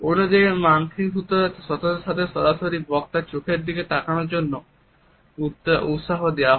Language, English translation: Bengali, On the other hand in the USA listeners are encouraged to have a direct eye contact and to gaze into the speakers eyes